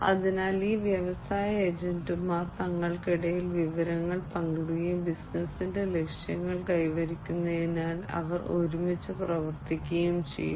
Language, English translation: Malayalam, So, these industry agents would be sharing information between themselves, and they would be working together for achieving the objectives of the business